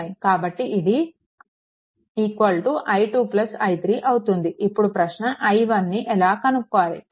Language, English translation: Telugu, So, is equal to i 2 plus i 3, right, now question is how to find out i q